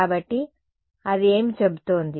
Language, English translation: Telugu, So, what is its saying